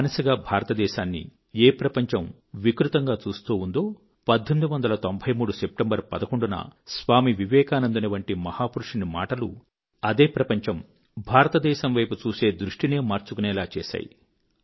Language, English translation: Telugu, The enslaved India which was gazed at by the world in a much distorted manner was forced to change its way of looking at India due to the words of a great man like Swami Vivekananda on September 11, 1893